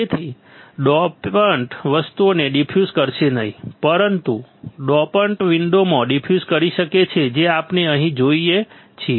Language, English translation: Gujarati, So, that the dopant would not diffuse things, but the dopants can diffuse in the window that what we see here